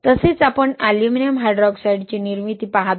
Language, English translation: Marathi, Also we see formation of aluminum hydroxide